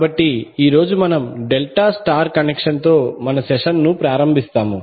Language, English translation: Telugu, So today, we will start our session with delta star connection